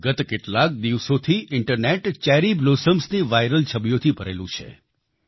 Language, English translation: Gujarati, For the past few days Internet is full of viral pictures of Cherry Blossoms